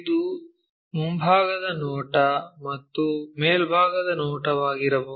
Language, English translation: Kannada, This might be the front view top view